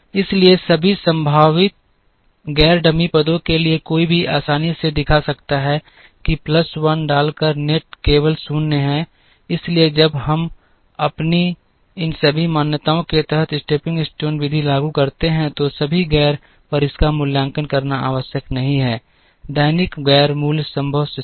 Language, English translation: Hindi, So, for all the possible non dummy positions, one can easily show that the net by putting a plus 1 is only 0, so when we apply the stepping stone method under all these assumptions, it is not necessary to evaluate it at all non dummy non basic possible positions